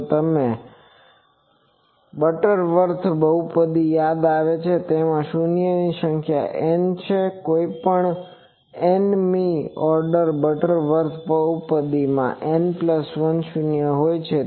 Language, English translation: Gujarati, If you remember the Butterworth polynomial that it has n number of 0s any nth order Butterworth polynomial as n plus 1 0s